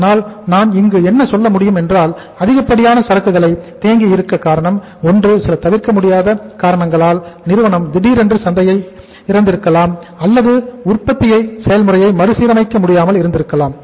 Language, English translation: Tamil, So I can say here that excessive inventory takes place either due to some unavoidable circumstances that company suddenly lost the market, production process cannot be readjusted